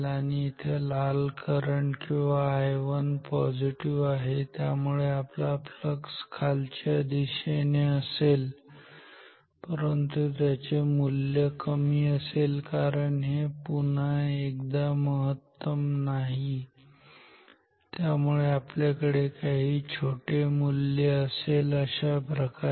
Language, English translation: Marathi, And here the red current is or I 1 is positive, so we will have downwards flux, but the value will be smaller because this is not at the peak again, so we will have some small value like this